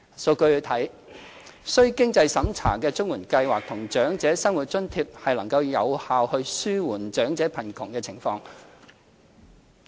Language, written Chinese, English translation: Cantonese, 數據顯示，須經濟審查的綜援計劃和長者生活津貼能有效紓緩長者貧窮的情況。, As shown by the statistics means - tested CSSA Scheme and OALA can effectively alleviate elderly poverty